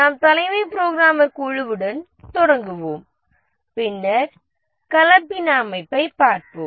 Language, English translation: Tamil, We'll start with the chief programmer team and then we'll look at the hybrid organization